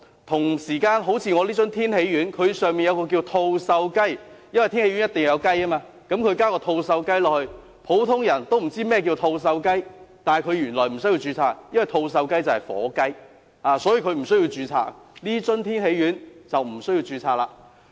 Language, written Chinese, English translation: Cantonese, 同時，好像我這樽天喜丸，它內含一種叫作吐綬雞的成分——因為天喜丸一定要有雞——它加入吐綬雞，普通人不知道甚麼是吐綬雞，但原來它不需要註冊，因為吐綬雞就是火雞，不需要註冊，所以這樽天喜丸便不需要註冊。, Meanwhile this bottle of Tin Hee Pills for example contains an ingredient called meleagris gallopavo―as Tin Hee Pills must contain chicken―meleagris gallopavo is added but the general public does not know what is meleagris gallopavo . Actually it is not required to register because meleagris gallopavo is turkey which is not required to register therefore registration is not necessary for this bottle of Tin Hee Pills